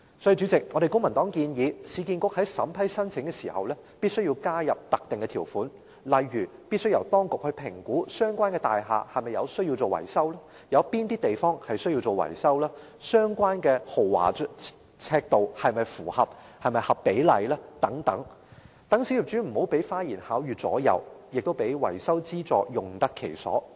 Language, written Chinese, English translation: Cantonese, 所以，主席，公民黨建議市建局在審批申請時，必須加入特定條款，例如必須由當局評估相關大廈是否需要進行維修，有哪些範圍需要進行維修，工程的豐儉尺度是否符合比例等，讓小業主不會被花言巧語所左右，亦會令維修資助用得其所。, Therefore President the Civic Party suggests the Urban Renewal Authority add in specific conditions to the applications during the scrutiny . For instance the relevant building should be subject to assessment by the authorities to determine if maintenance works are needed and if so whether the proposed scope and standard of the maintenance works are appropriate and so on . This will help small property owners make wise decisions despite the presence of flowery persuasion so that maintenance subsidy can be used in the right place